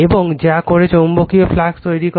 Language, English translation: Bengali, And your which sets up in magnetic flux in the core